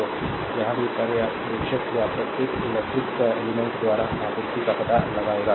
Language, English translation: Hindi, So, here also we will find out power observer or power supply by that each electrical element, right